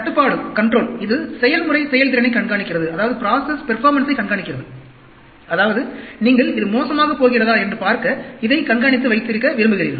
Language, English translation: Tamil, Control, which is monitoring the process performance, that means, you want to monitor and keep it, see whether it is going to get bad